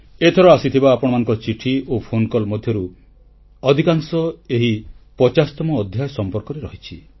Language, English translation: Odia, Your letters and phone calls this time pertain mostly to these 50 episodes